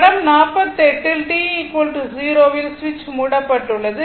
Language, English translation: Tamil, In figure 48, the switch is closed at t is equal to 0